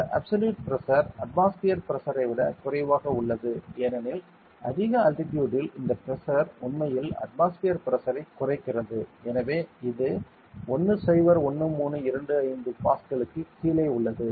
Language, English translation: Tamil, And this absolute pressure is less than the atmospheric Pressure it is because at a higher altitude this Pressure decreases the atmospheric Pressure decreases so it is below 101325 Pascal